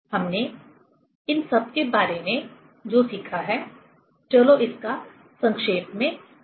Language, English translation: Hindi, What we have learned about these things let us summarize it